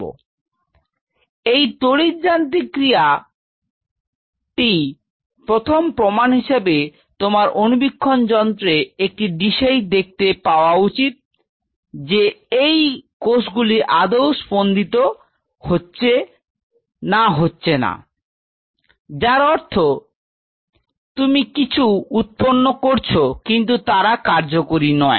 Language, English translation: Bengali, Now this electro mechanical activity your first evidence you should be able to see on a dish under microscope, that these cells are beating they are not beating it means yeah you grow something, but they are not functional